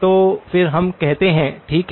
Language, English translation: Hindi, So then we say okay